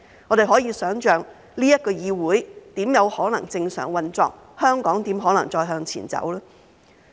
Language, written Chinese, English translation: Cantonese, 我們可以想象，這個議會怎有可能正常運作，香港怎可能再向前走？, We can imagine how this Council can possibly function normally and how Hong Kong can move forward again